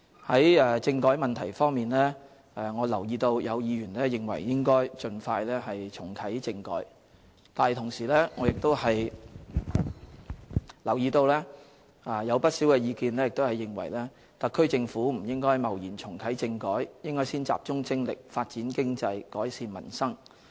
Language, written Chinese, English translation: Cantonese, 在政改問題方面，我留意到有議員認為應該盡快重啟政改，但同時，我亦留意到有不少意見認為特區政府不應貿然重啟政改，應先集中精力發展經濟、改善民生。, With regard to constitutional reform I notice that some Members consider it necessary to reactivate constitutional reform as soon as possible while there are also views that the SAR Government should not rashly embark on political reform once again . Instead we should concentrate our energy on making economic development and improving peoples livelihood